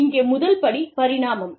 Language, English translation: Tamil, The first step here is, evolution